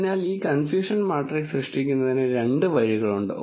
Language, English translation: Malayalam, So, there are two ways of generating this confusion matrix